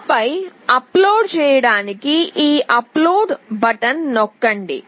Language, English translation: Telugu, And then we press this upload button to upload it